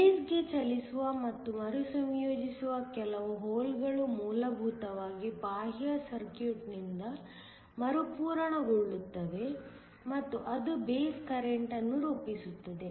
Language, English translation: Kannada, Some of the holes which move into the base and get recombined are essentially replenished by the external circuit and that forms the base current